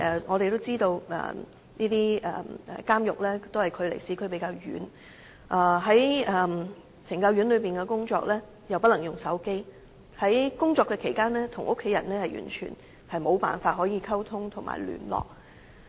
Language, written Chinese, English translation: Cantonese, 我們也知道監獄與市區的距離較遠，而且在懲教院所內工作又不可以使用手機，所以在工作期間與家人完全無法溝通、聯絡。, We know that penal institutions are unusually far away from downtown and CSD staff are not allowed to use mobile phones there therefore they are unable to contact or communicate with their family members . Moreover CSD staff are usually misunderstood by the public